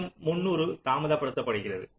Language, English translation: Tamil, again, delays three hundred